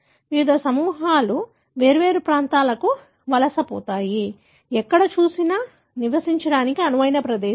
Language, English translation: Telugu, The different groups migrate to different place, wherever they find, the place suitable for living